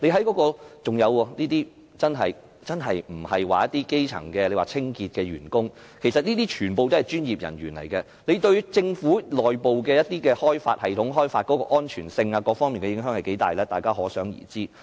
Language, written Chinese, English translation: Cantonese, 況且，這些真的並非一些基層如清潔員工，其實俱是專業人員，這對政府內部的某些系統開發工作的安全性等各方面的影響有多大，大家可想而知。, Moreover they are not grass roots workers such as cleaners but are all professionals . People can imagine how big the impact will be on various aspects such as security of certain system development work within the Government